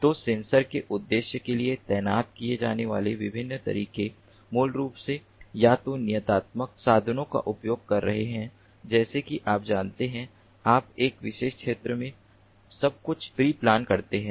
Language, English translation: Hindi, so the different ways in which the sensors can be deployed for the purpose is basically either using deterministic means like you know, you pre plan everything in a particular area